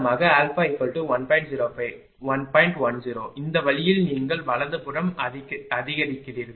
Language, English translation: Tamil, 10, this way you go on increasing right